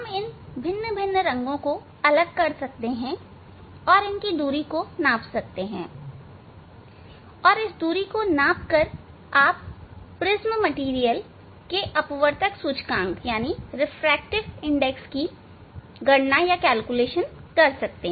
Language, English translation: Hindi, one can separate the different colors, and measuring the separation; measuring the separation of the different colors one can calculate this refractive index of the prism material, that experiment we will demonstrate later on